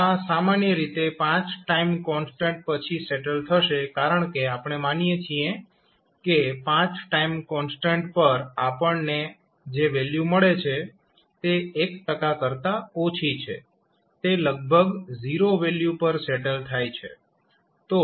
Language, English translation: Gujarati, So, this will settle down after generally it settles down after 5 time constants because we assume that at 5 time constants the value what we get is less than 1 percent means it is almost settling to a 0 value